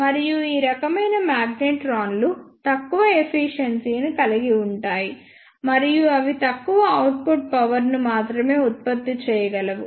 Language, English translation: Telugu, And these type of magnetrons have low efficiency and they can produce low output powers only